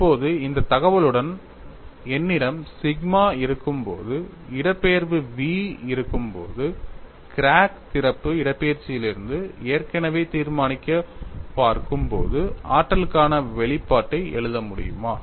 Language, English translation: Tamil, Now, with this information when I have sigma, when I have the displacement v, which is already determine from crack opening displacement, can you write the expression for energy